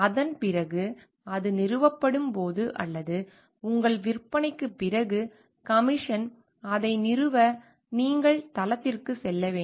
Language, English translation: Tamil, And after that when it is installation or commission after your sale, you have to go to the site to install it